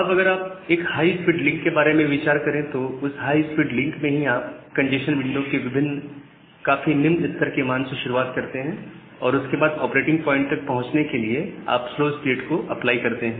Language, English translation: Hindi, Now, if you think about a high speed link in that high speed link itself you are starting from a very low value of the congestion window and then applying the slow start to reach at the operating point